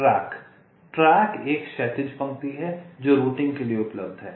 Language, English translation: Hindi, track is a horizontal row that is available for routing